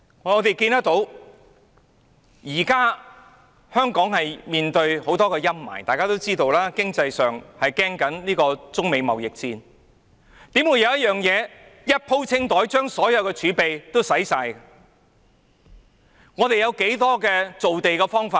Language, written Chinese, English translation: Cantonese, 我們看到現時香港面對着許多陰霾，大家都知道，在經濟方面有中美貿易戰的憂慮，我們又怎可以"一鋪清袋"，做一件事把所有儲備花光呢？, We can see that at present there are many dark clouds hanging over Hong Kong . We all know that in the economic domain there are concerns over the trade war between China and the United States so how can we put all the eggs in a basket and expend all the reserves on one single project?